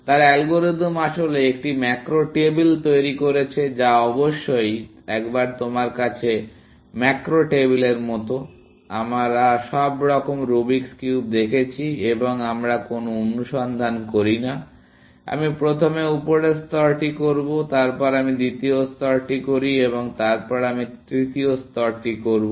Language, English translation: Bengali, His algorithm actually, built a macro table, which of course, once you have a macro table like, we saw all the Rubic cubes and we do not do any search; we say, ok, I will do the top layer first; then, I do the second layer and then, I will do the third layer